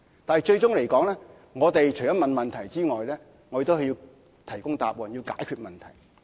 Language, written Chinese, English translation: Cantonese, 但是，我們除了提出問題外，最終也要提供答案及解決問題。, However other than raising the questions it is more important to find the answer and tackle the problems